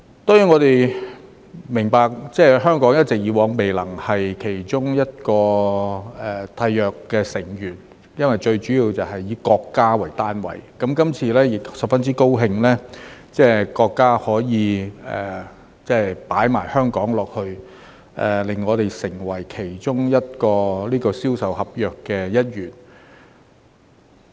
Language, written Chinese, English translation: Cantonese, 當然，我們明白香港以往一直未能成為其中一個締約成員，最主要是要以國家為單位，那麼，今次亦十分高興國家可以把香港加進去，讓我們成為其中一個《銷售公約》的一員。, Of course we understand that Hong Kong has not been able to become a Party to the United Nations Convention on Contracts for the International Sale of Goods CISG in the past primarily because its membership is limited to sovereign states . Then this time around we are very glad that China has added Hong Kong as a party to CISG